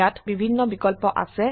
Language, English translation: Assamese, There are various options here